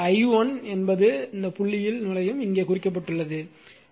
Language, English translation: Tamil, So, i1 actually entering into the dot